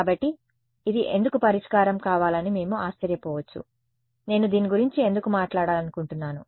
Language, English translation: Telugu, So, we may wonder why should this be a solution why should I want to promote this we will talk about that